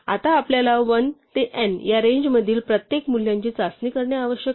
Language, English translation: Marathi, Now we need to test every value in the range 1 to n